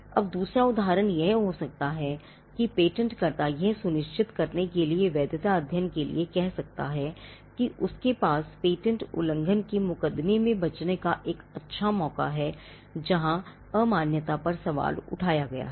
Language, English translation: Hindi, Now the second instance could be where the patentee could ask for a validity study to ensure that he has a good chance of surviving on patent infringement suit; where invalidity has been questioned